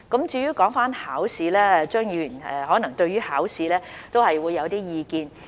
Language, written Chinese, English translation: Cantonese, 至於考試，張議員可能對考試有一些意見。, As regards the examination Mr CHEUNG may have some opinions